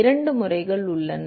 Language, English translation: Tamil, There are 2 methods